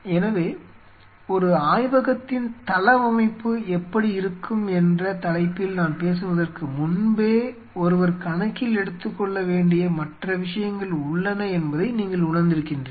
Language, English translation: Tamil, So, you realize even much before I hit upon the topic of the how the layout of a lab will be, there are other things which one has to take into account